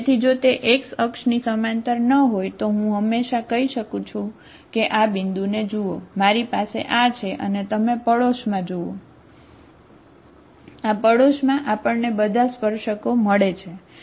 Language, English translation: Gujarati, So if it is not parallel to x axis, I can always, say look at this point, I have, you look at the neighbourhood, in this neighbourhood we find all the tangents, okay